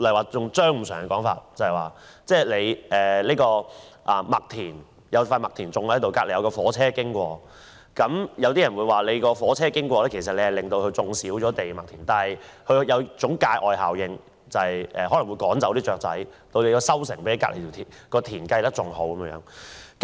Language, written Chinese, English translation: Cantonese, 套用張五常的說法，在一塊麥田旁邊有火車經過，有人說火車經過會令麥田面積減少，但它有一種界外效果，可能會趕走雀鳥，令收成比隔鄰的田更好。, In the case often cited by Steven CHEUNG A railway running across a wheat field will reduce the area of the field but the externality resulted is that birds are scared away the produce of the field is higher than that of the neighbouring field